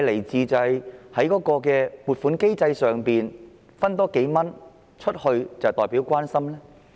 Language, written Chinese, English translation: Cantonese, 是否在撥款機制下多撥出數元便代表關懷呢？, Does the additional allocation of a few dollars under the appropriation mechanism mean care?